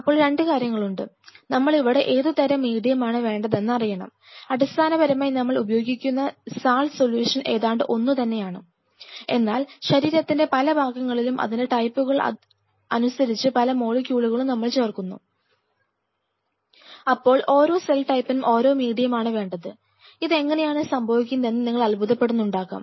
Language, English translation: Malayalam, Now, 2 things; we are introducing one has to know what kind of medium, we are going to use because though the basic salt solution remain more or less same, but at different spots of the body different parts of the body, there are several other added molecules for specific cell types, these are cell type is specific you might wonder, how that is happening